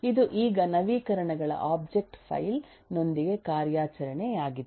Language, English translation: Kannada, it now has become an operation with the object file of updates